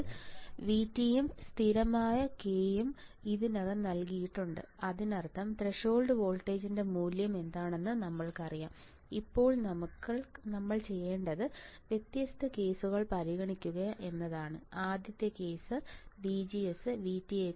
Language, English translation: Malayalam, Now, V T and constant k is already given; that means, that we already know what is value of threshold voltage is already there, now what we had to do is consider different cases right first case is that VGS is greater than V T